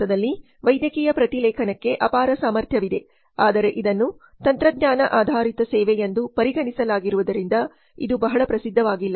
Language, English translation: Kannada, There is immense potential for medical transcription in India but it is not very famous as it has been viewed as a technology oriented service